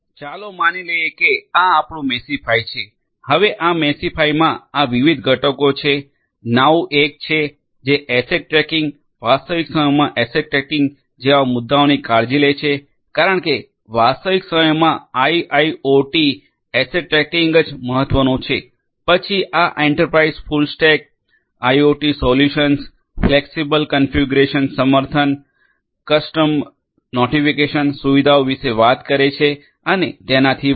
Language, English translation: Gujarati, So, let us assume that this is our Meshify, this Meshify has these different components Now; Now is 1, which takes care of issues such as asset tracking, asset tracking in real time because that is what is important for IIoT asset tracking in real time, then this Enterprise; this Enterprise talks about full stack IoT solutions, fixable configuration support custom notification facilities and so on